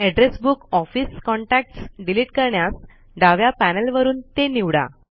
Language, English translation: Marathi, To delete the address book Office Contacts from the left panel select it